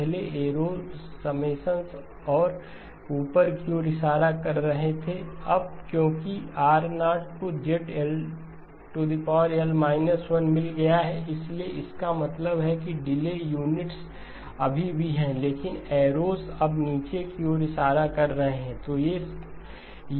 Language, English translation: Hindi, Previously the arrows were pointing upward towards the summation; now because R0 has got Z power L minus 1, so which means that the delay units are still there, but the arrows are now pointing downward